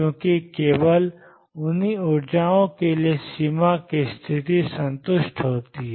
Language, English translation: Hindi, Because only for those energy is the boundary condition is satisfied